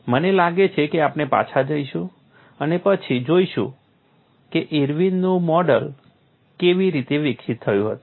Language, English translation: Gujarati, I think, we will go back and then see how the Irwin’s model was developed